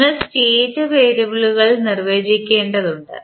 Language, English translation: Malayalam, You have to define the State variables